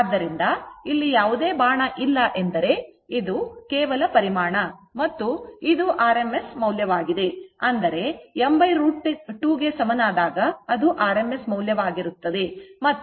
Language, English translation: Kannada, So, no arrow is here means this is the magnitude and this is your rms value; that means, when you write I is equal to I m by root 2 it is rms value, right